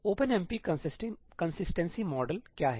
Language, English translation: Hindi, What is the OpenMP consistency model